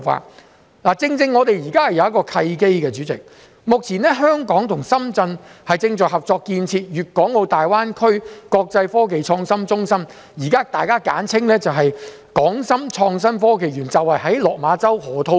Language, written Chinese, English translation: Cantonese, 代理主席，我們現時正好有一個契機，目前香港與深圳正在合作建設粵港澳大灣區國際科技創新中心，即是現時大家簡稱的港深創新及科技園，便是位於落馬洲河套區。, Deputy President now we have a good opportunity . At present Hong Kong and Shenzhen are cooperating for establishing an international innovation and technology hub in the Guangdong - Hong Kong - Macao Greater Bay Area which is also known as the Hong Kong Shenzhen Innovation and Technology Park in the Lok Ma Chau Loop